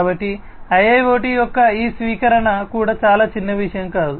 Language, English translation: Telugu, So, that is why you know this adoption of IIoT is also very non trivial